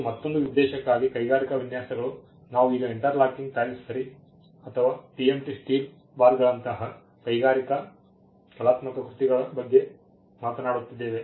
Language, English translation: Kannada, This is for another purpose, industrial designs, we are we now talking about artistic works industrial like interlocking tiles ok or TMT steel bars they have some novel designs over then